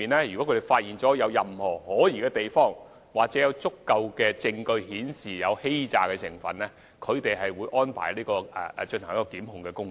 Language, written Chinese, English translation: Cantonese, 如果發現任何可疑之處，又或有足夠證據顯示申請個案具有欺詐成分，有關人員會安排檢控工作。, If any suspicious applications are identified or if there is sufficient evidence for fraud the officers concerned may make arrangements for prosecution